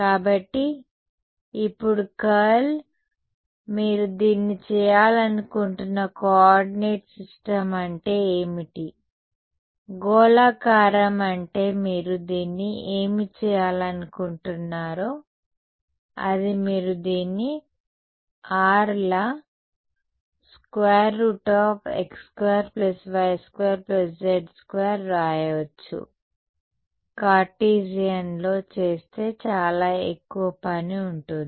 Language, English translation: Telugu, So, curl of a now, what is a coordinate system in which you would want to do this, spherical is what you would want to do this in right you could as also write this as r as square root x square plus y square plus z square and do it in Cartesian that would be a lot more work